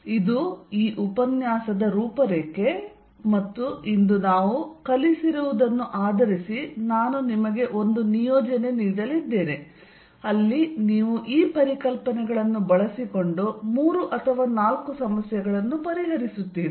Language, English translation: Kannada, This is the program for this lecture and based on what we cover today I am also going to give you an assignment, where you solve three or four problems employing these concepts